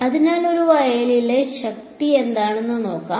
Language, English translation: Malayalam, So, let us look at what is the power in a field